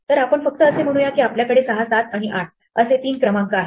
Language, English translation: Marathi, So let us just say that we had three numbers 6, 7 and 8 for example